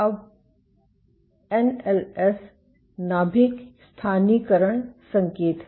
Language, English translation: Hindi, Now, NLS is nuclear localization signal ok